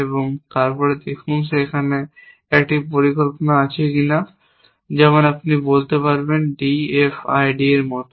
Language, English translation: Bengali, So, they construct a structure of certain size and then see if there is a plan there little bit like D F I D you might say